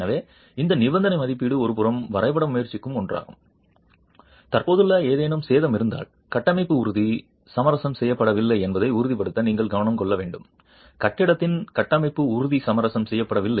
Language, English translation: Tamil, So, this condition assessment is one, on one hand, trying to map if there is any existing damage which you should take care of to ensure that the structural health is not compromised, structural health of the building is not compromised